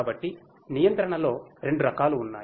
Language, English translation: Telugu, So, there are two types of control